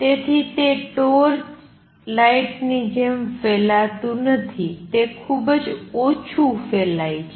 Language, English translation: Gujarati, So, does not spread like a torch light, it is spread very little